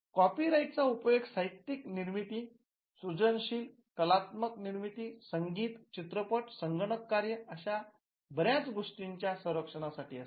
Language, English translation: Marathi, Copyrights: copyrights are used to protect literary and creative works, literary artistic works soundtracks videos cinematography computer programs and a whole lot of things